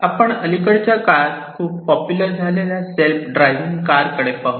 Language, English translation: Marathi, So, let us take a look at the self driving cars, which has very become very popular in the recent times